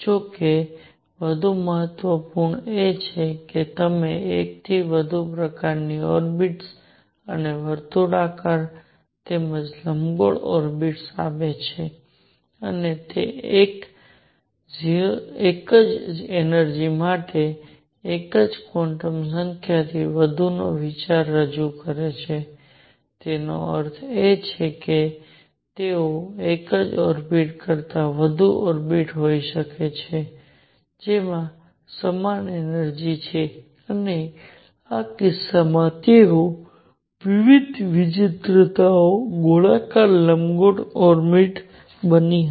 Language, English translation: Gujarati, More important however, is it gives more than one kind of orbit and circular as well as elliptic orbits and it introduces the idea of more than one quantum number for the same energy more than one quantum number means they could be more orbits than one orbit which has the same energy and in this case they happened to be circular elliptic orbits of different eccentricities